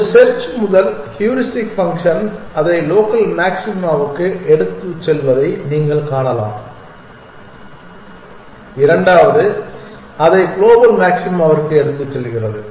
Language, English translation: Tamil, You can see that one search the first heuristic function takes it to local maxima the second one takes it to global maxima